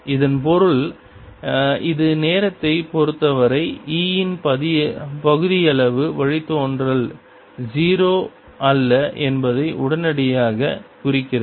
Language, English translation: Tamil, and this means this immediately implies that partial derivative of e with respect to time is not zero